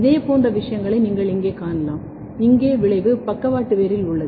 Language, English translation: Tamil, Similar kind of things you can look here, here the effect is on the lateral root